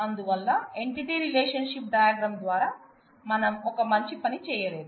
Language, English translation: Telugu, So, what it means that in the entity relationship diagram itself we didn’t do a good job